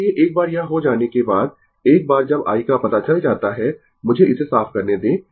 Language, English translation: Hindi, So, once it is done, once i is known right, let me clear it